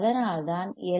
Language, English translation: Tamil, So, what is L 1